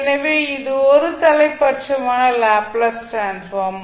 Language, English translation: Tamil, So that means that it is one sided that is unilateral Laplace transform